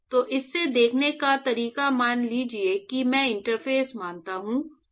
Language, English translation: Hindi, So, the way to see that is suppose I assume the interface